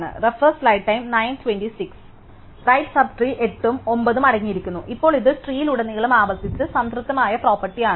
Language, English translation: Malayalam, And the right sub tree contains 8 and 9, now this is the property that is recursively satisfied throughout the tree